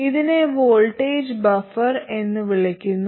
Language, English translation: Malayalam, Now, what do we want from a voltage buffer